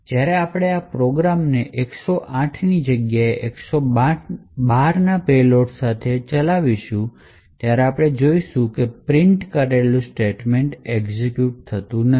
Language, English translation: Gujarati, So, when we run this program again with payload of 112 instead of a 108 we would see that the done statement is not executed